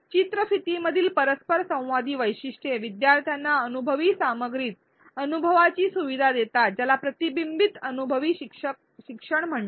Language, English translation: Marathi, Interactive features within the video facilitate learners experience to the content this is called reflective experiential learning